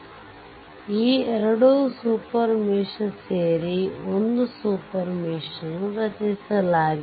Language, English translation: Kannada, So, a super mesh is created